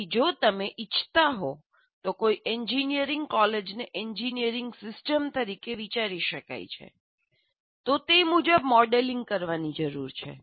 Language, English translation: Gujarati, So if you want, one can consider engineering college as an engineering system and model it accordingly